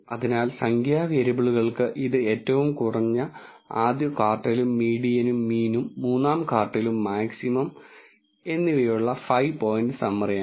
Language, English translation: Malayalam, So, for the numerical variables it is a five point summary with minimum first quartile and median, mean, third quartile and maximum